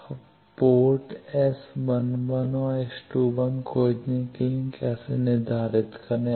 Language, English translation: Hindi, Now, port how to determine for finding s11 and S 21